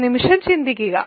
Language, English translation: Malayalam, Think about it for a second